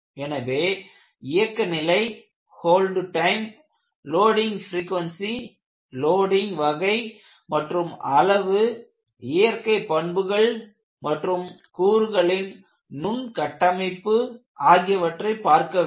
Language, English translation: Tamil, So, you have to look at the operating temperature, hold time, loading frequency, type and magnitude of loading, mechanical properties and microstructure of the component